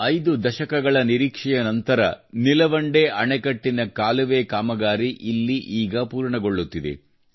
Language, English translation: Kannada, After waiting for five decades, the canal work of Nilwande Dam is now being completed here